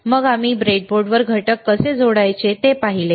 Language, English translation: Marathi, Then we have seen the how to connect the components to the breadboard